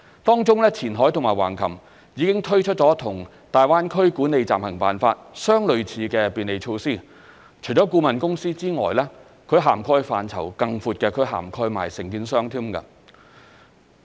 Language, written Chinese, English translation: Cantonese, 當中，前海和橫琴已推出與大灣區《管理暫行辦法》相類似的便利措施，除顧問公司外，其涵蓋範疇更闊，亦涵蓋承建商。, Qianhai and Hengqin have already rolled out facilitation measures similar to the Interim Guidelines implemented in the Greater Bay Area . With wider coverage such measures cover not only consultancies but also contractors